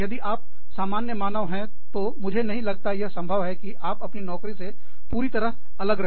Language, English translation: Hindi, If you are moderately human, i do not think, it is possible, to stay completely aloof, from your job